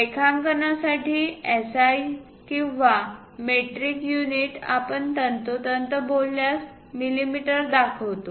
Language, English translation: Marathi, For drawings, SI or metric units precisely speaking millimeters we represent